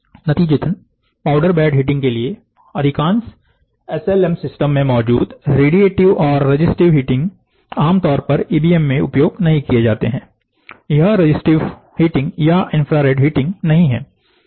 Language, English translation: Hindi, As a result, the radiative and resistive heating present in most SLM systems for powder bed heating are not typically used in EBM, it is not the resistive heating or infrared heating